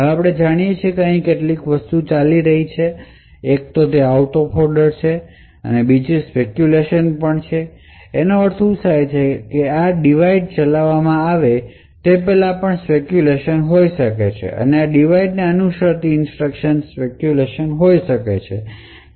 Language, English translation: Gujarati, Now as we know there are a couple of things which are going on, one is the out of order and also the speculation and what happens is that even before this divide gets executed it may be likely that the instructions that follow this divide may be speculatively executed